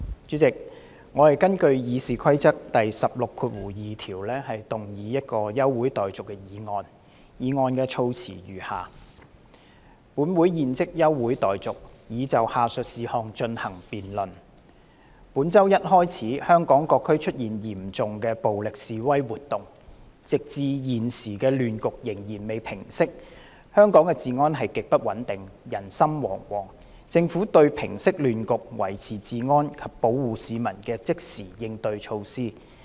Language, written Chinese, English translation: Cantonese, 主席，我根據《議事規則》第162條動議休會待續的議案，議案的措辭如下：本會現即休會待續，以就下述事項進行辯論：本周一開始香港各區出現嚴重暴力示威活動，直至現時亂局仍未平息，香港的治安極不穩定，人心惶惶，政府對平息亂局、維持治安及保護市民的即時應對措施。, President I move a motion that the Council do now adjourn under Rule 162 of the Rules of Procedure . The wording of the motion is as follows That this Council do now adjourn for the purpose of debating the following issue in view of the serious violent protests and activities that have arisen in various districts in Hong Kong since this Monday and the fact that the chaotic situation has not subsided so far which have led to extremely unstable public security and widespread panic in Hong Kong the immediate countermeasures to be adopted by the Government to quell the chaos restore law and order and protect members of the public